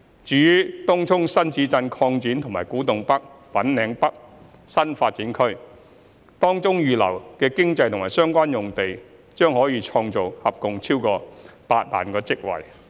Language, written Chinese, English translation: Cantonese, 至於東涌新市鎮擴展和古洞北/粉嶺北新發展區，當中預留的經濟和相關用地將創造合共超過8萬個職位。, As for the Tung Chung New Town Extension and the Kwu Tung NorthFanling North New Development Area the land reserved for economic and related uses will create over 80 000 job opportunities in total